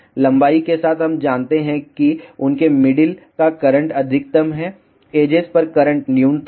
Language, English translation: Hindi, Along the length we know that the middle them current is maximum, on the edges the current is minimum